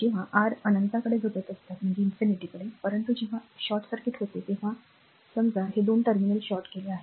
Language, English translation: Marathi, When R tends to infinity, but when it is short circuit when you short it suppose these 2 terminals are shorted